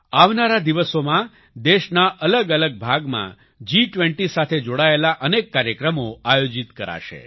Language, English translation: Gujarati, In the coming days, many programs related to G20 will be organized in different parts of the country